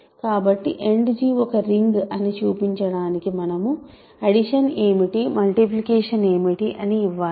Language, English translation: Telugu, So, in order to show that end G is a ring we need to say what is addition, what is multiplication